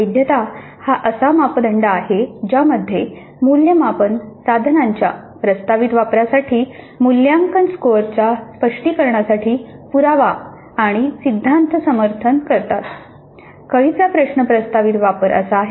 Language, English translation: Marathi, The validity is the degree to which evidence and theory support the interpretation of evaluation scores for proposed use of assessment instruments